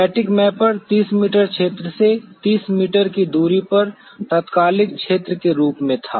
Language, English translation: Hindi, Thematic Mapper was 30 meters by 30 meter area as the instantaneous field of view